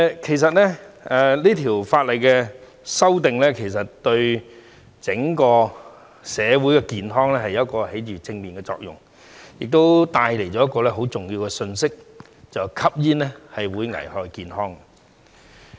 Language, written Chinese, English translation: Cantonese, 其實這項法例的修訂是對整個社會的健康發揮了正面作用，亦帶出一個很重要的信息︰吸煙會危害健康。, In fact the amendment of this legislation will produce a positive effect on the health of society as a whole . It also brings out a very important message Smoking is hazardous to health